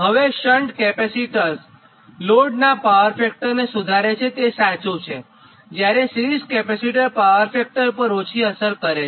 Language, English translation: Gujarati, now, shunt capacitors improves the power factor of the load, it is true, whereas series capacitor has little effect on power factor